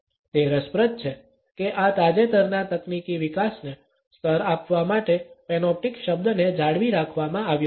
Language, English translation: Gujarati, It is interesting that the word panoptic has been retained to level this recent technological development